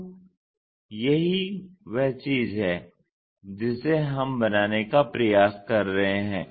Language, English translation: Hindi, So, that is the thing what we are trying to construct it